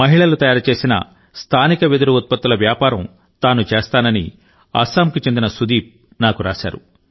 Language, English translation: Telugu, Sudeep from Assam has written to me that he trades in local bamboo products crafted by women